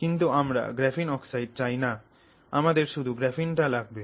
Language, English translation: Bengali, So, graphene oxide is what we end up having here